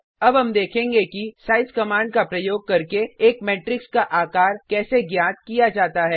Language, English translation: Hindi, We will now see how to find the size of a Matrix using the size command